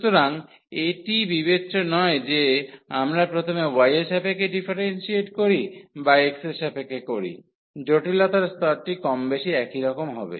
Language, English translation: Bengali, So, it will not matter whether we first differentiate with respect to y or with respect to x the complicacy level would be more or less the same